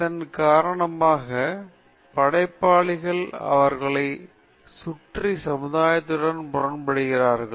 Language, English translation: Tamil, Because of this, creative people get into conflicts with the society around them